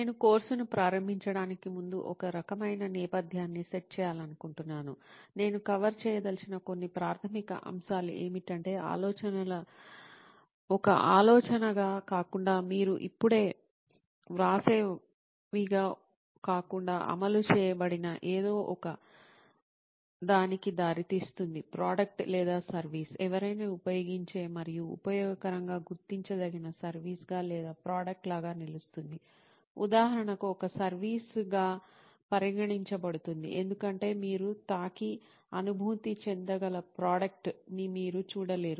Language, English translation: Telugu, I wish to set some kind of background before I start the course, some basics that I want to cover is that when ideas are implemented not as a thought, not as a something you just write down, but something that is implemented, leads to a product or a service, a product which somebody uses and finds it useful or a service, not a tangible one, but stands for like my course, for example is considered a service because you do not see a product that you can touch and feel